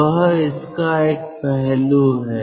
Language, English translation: Hindi, that is one aspect of it